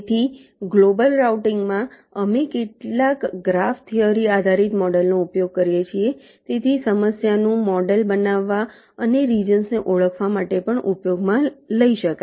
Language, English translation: Gujarati, so in global routing we use some graph theory based models so which can be used to model the problem and also identified the regions